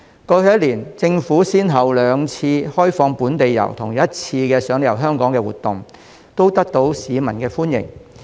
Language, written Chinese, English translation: Cantonese, 過去一年，政府先後兩次開放本地遊和推出一次"賞你遊香港"活動，它們均得到市民的歡迎。, Over the past year the Government has approved resumption of local tours twice and launched the Free Tour programme once all of which have been welcomed by the public